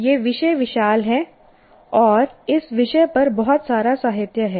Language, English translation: Hindi, The subject is vast and there is a lot of literature on that